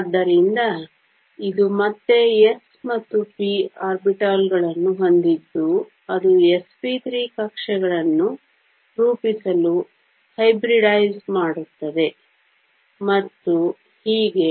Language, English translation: Kannada, So, again it has s and p orbitals which hybridize to form s p 3 orbitals and so on